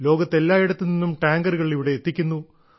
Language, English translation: Malayalam, Going around the world to bring tankers, delivering tankers here